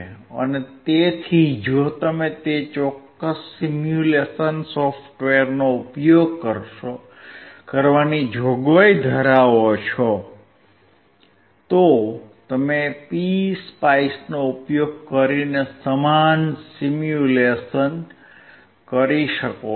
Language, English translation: Gujarati, So, you can perform the same simulation using PSpice, if you have the provision of using that particular software